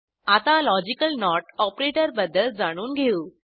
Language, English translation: Marathi, Let us understand the use of Logical operators